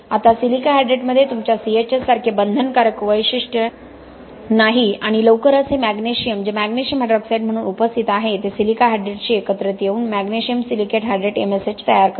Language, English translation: Marathi, Now silica hydrate does not have the same binding characteristic as your C S H, okay and soon this magnesium which is present as a magnesium hydroxide can combine with the silica hydrate to form what is called magnesium silicate hydrate MSH magnesium silicate hydrate then absolutely that is absolutely got no binding characteristic just like your C S H